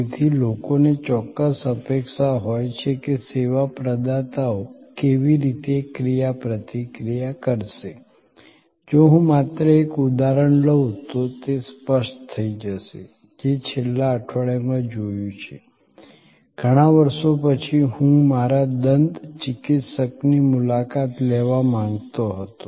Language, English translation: Gujarati, So, people have a certain expectation that how the service providers will interact, it will become clearer if I just take an example, which happen to be in last week, after many years I wanted to visit my dentist